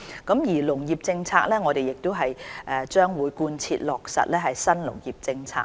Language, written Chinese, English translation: Cantonese, 對於農業政策，我們將貫徹落實新農業政策。, On agriculture policy we will fully implement the New Agriculture Policy